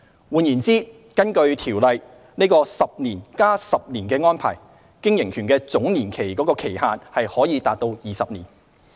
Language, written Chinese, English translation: Cantonese, 換言之，根據《條例》，藉 "10 年加10年"的安排，經營權的總年期期限可達20年。, This means the total period of an operating right could be up to 20 years through a ten - plus - ten - year arrangement under PTO